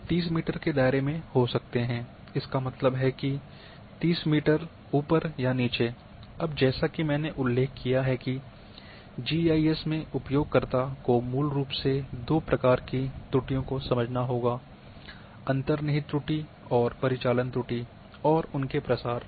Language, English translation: Hindi, They may be within the 30 metre radius so; that means the plus minus 30 metre now as I have mentioned that GIS need users must understand the two types of basically errors the inherent errors and operational errors and their propagation